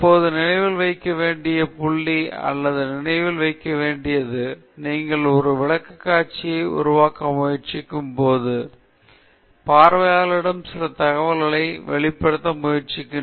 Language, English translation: Tamil, Now, the point to remember or the point to keep in mind is that when you are trying to make a presentation, you are trying to convey some information to the audience